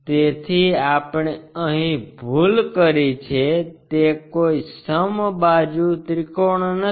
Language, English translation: Gujarati, So, we made a mistake here it is not a equilateral triangle